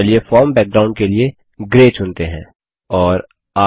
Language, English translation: Hindi, Let us choose Grey as the form background